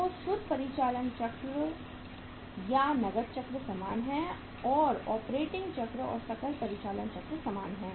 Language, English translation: Hindi, So net operating cycle or cash cycle is the same and operating cycle or the gross operating cycle is the same